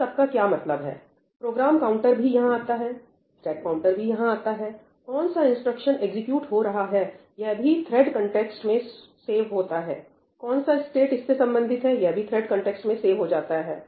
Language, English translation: Hindi, So, what does that mean even the program counter goes here; even the stack pointer goes here; which instruction was getting executed that is also saved in the thread context; which stack corresponds to it that is also stored in the thread context